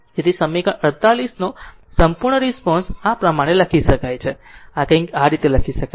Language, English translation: Gujarati, So, the complete response of equation 48 may be written as this can be written as something like this